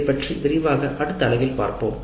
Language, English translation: Tamil, We will discuss this in greater detail in the next unit